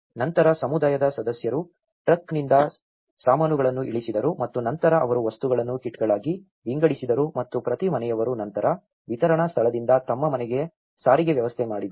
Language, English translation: Kannada, Then, the community members offload the truck and then they divided the materials into kits and each household then arranged the transportation from the distribution point to their home